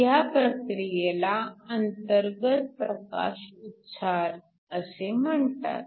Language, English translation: Marathi, This process is called an Internal Photoemission